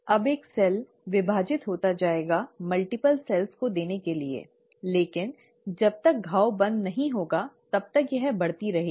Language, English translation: Hindi, Now one cell will go on dividing to give multiple cells, but it starts growing as long as the wound is closed